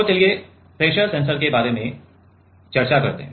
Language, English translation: Hindi, So, let us discuss about pressure sensor